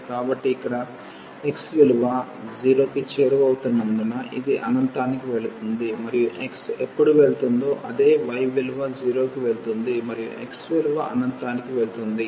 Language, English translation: Telugu, So, here as x is approaching to 0 this will go to infinity and same thing when x will go this y will go to 0 and x is going to infinity